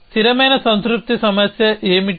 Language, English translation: Telugu, What is the constant satisfaction problem